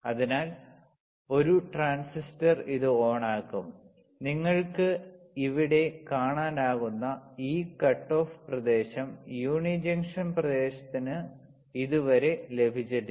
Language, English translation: Malayalam, So, a transistor will turn on this is a region where uni junction region does not yet receive this cutoff region you can see here